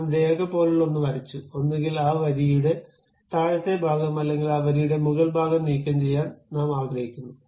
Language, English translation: Malayalam, I have drawn something like line; I want to either remove this bottom part of that line or top part of that line